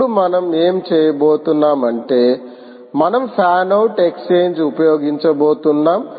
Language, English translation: Telugu, ok, now what we are going to do is, we are going to use fan out exchange